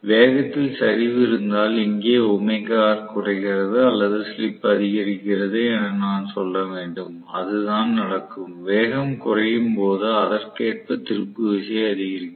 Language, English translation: Tamil, So, if there is a reduction in the speed, so here omega R decreases or I should say slip increases that is what happens, when I am looking at you know the speed coming down and the torque increasing correspondingly